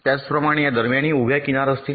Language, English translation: Marathi, similarly, between these there will be vertical edge